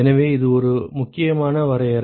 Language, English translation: Tamil, So, that is an important definition